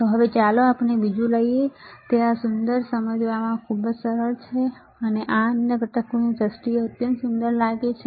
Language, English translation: Gujarati, So now let us take the another one this beautiful it is very easy to understand, and this looks extremely beautiful in terms of other components